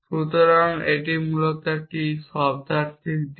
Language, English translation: Bengali, So, that is a semantic side essentially